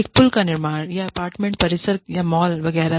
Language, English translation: Hindi, Construction of a bridge, or apartment complex, or mall, etcetera